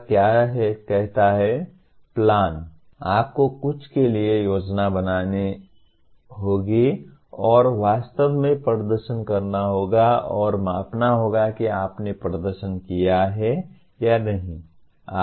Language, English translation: Hindi, What it says “plan”, you have to plan for something and actually have to perform and measure whether you have performed or not